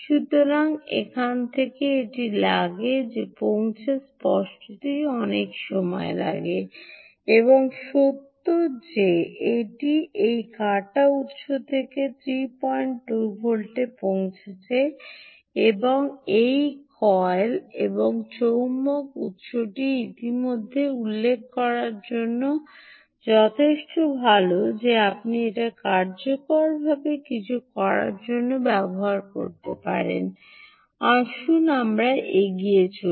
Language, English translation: Bengali, so to reach that point it takes obviously takes a lot of time, and the fact that it has reached three point two volts from this harvested source, this coil and this magnet source, is already good enough to mention that you can actually use it to do something useful